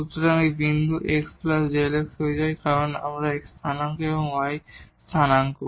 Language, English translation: Bengali, So, this point becomes x plus delta x because of this x coordinate and the y coordinate